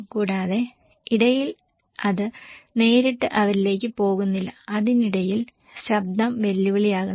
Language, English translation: Malayalam, And also in between, it does not directly go to them, in between the challenge is the noise right